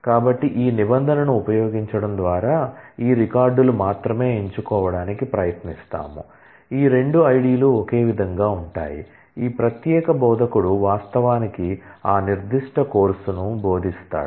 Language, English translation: Telugu, So, by the use of this where clause, we will try to choose only those records where, these 2 ids are same which will tell us that, this particular instructor actually teaches that particular course